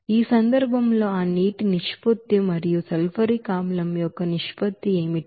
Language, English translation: Telugu, In this case what will be the ratio of that water to sulfuric acid